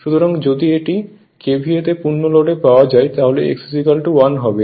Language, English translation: Bengali, So, if it is KVA is equal to KVA fl then x is equal to 1